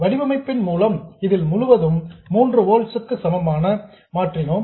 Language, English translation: Tamil, By design we made this entire thing become equal to 3 volts